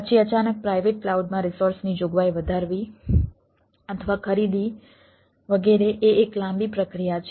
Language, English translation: Gujarati, then suddenly in a private cloud, increasing the resource provisioning or purchasing etcetera is a long process